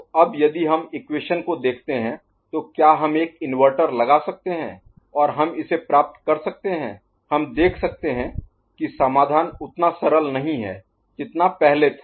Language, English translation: Hindi, So, now if we look at the equation, whether we can put an inverter and all, and we can get it, we can see that the solution is not as trivial as it had been the case before